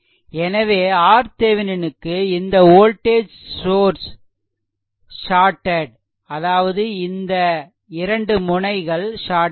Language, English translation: Tamil, So, for R Thevenin this voltage source is shorted this voltage source is shorted; that means, these two point is shorted